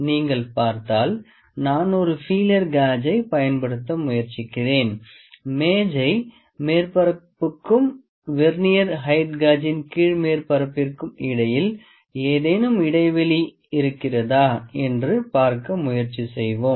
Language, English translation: Tamil, If you see, I will use a feeler gauge and try to see that do we have any gap between the table surface and the bottom surface of the Vernier height gauge